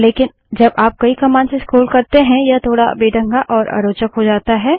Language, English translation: Hindi, But when you have to scroll through many commands this becomes a little clumsy and tedious